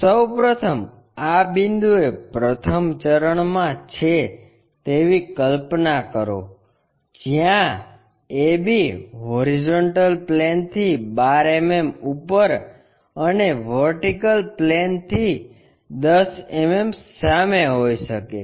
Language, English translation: Gujarati, First of all visualize this point AB may be in the for first quadrant 12 mm above HP and 10 mm in front of VP